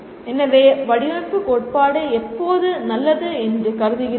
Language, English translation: Tamil, So when do you consider a design theory is good